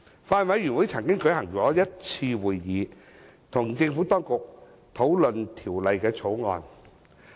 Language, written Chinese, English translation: Cantonese, 法案委員會曾舉行1次會議，與政府當局討論《條例草案》。, The Bills Committee held one meeting to discuss the Bill with the Administration